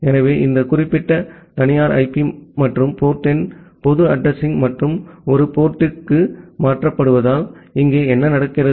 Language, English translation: Tamil, So, what happens here that this particular private IP and the port number is being mapped to a public address and one port